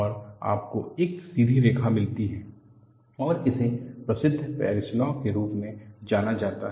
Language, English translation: Hindi, And you get a straight line, and this is known as same as Paris law